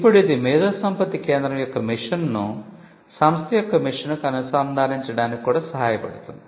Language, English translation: Telugu, Now, this would also help to align the mission of the IP centre to the mission of the institution itself